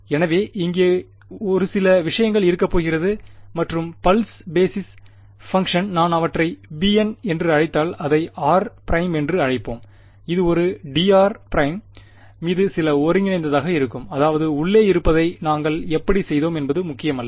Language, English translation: Tamil, And so there is there is going to be a bunch of things over here right and the pulse basis function if I call them as b n right, b n of let us call it r prime right; it is going to be some integral over a d r prime that is how we did it whatever is inside does not matter